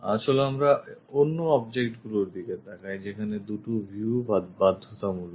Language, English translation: Bengali, Let us look at other objects where two views are compulsory